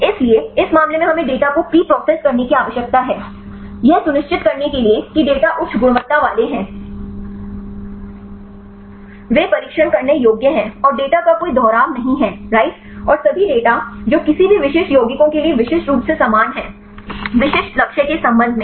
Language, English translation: Hindi, So, in this case we need to preprocess the data, to ensure that the data are high quality they are testable and there are no duplication of data right and all the data which resembles uniquely for any specific compounds, with respect to specific target right